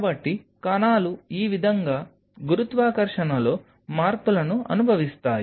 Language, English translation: Telugu, So, the cells experience changes in the gravity like this